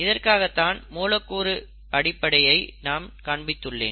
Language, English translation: Tamil, This is what I had shown the molecular basis for